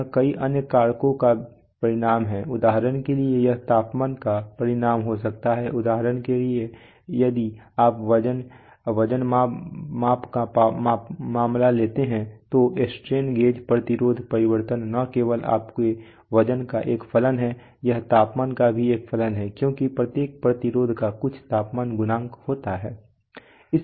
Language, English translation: Hindi, It is a result of many other factors for example it may be a result of temperature for example if you take that if you take the weighing, weight measurement case then the then the strain gauge resistance change, is not only a function of the weight you put it is also a function of the temperature because every resistance has some temperature coefficient